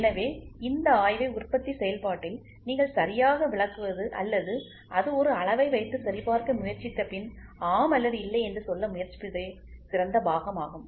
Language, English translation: Tamil, So, the best part is you interpret this inspection right in the manufacturing process or after it try to put a gauge and check and try to say yes or no